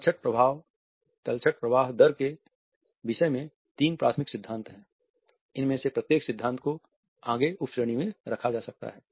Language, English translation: Hindi, There are three primary concerning sediment flow rate each of these theories can be further subcategorized into